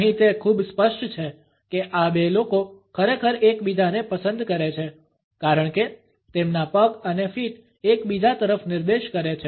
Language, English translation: Gujarati, Here it is pretty clear these two people really like each other because their legs and feet are pointing towards each other